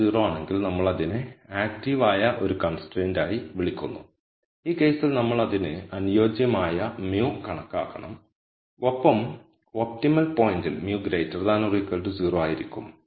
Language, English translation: Malayalam, So, if g is 0 we call that as an active constraint in which case we have to calculate the mu corresponding to it and in the optimum point mu will be greater than equal to 0